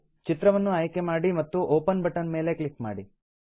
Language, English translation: Kannada, Choose a picture and click on the Open button